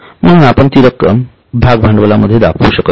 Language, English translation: Marathi, So, we cannot show it in the share capital